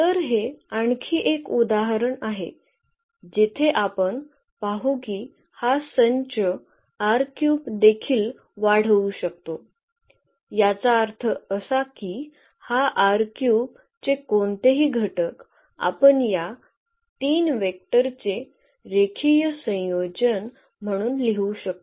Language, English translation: Marathi, So, here this is another example where we will see that this set can also span R 3; that means, any element of this R 3 we can write down as a linear combination of these three vectors